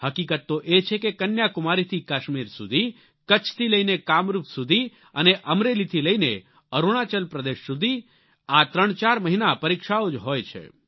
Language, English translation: Gujarati, Actually from Kashmir to Kanyakumari and from Kutch to Kamrup and from Amreli to Arunachal Pradesh, these 34 months have examinations galore